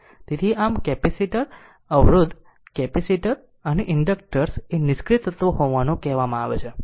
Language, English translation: Gujarati, Therefore, thus like capacitor resistor capacitors and inductors are said to be your passive element right